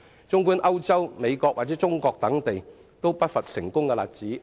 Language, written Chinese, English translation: Cantonese, 綜觀歐洲、美國或中國等地，皆不乏成功例子。, And such success stories can easily be found in Europe the United States and China